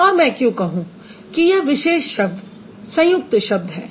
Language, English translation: Hindi, Why would I say a particular word is a complex word